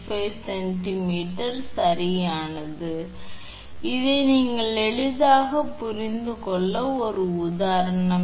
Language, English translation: Tamil, 935 centimeter right this is example to understand level right easy one